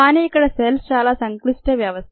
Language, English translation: Telugu, but the cells are complex systems